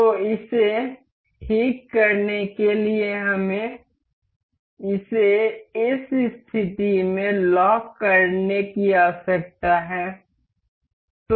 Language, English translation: Hindi, So, to fix this we need to lock this into this position